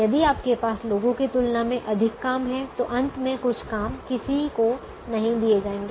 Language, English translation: Hindi, if you have more people than jobs, then some people will not get jobs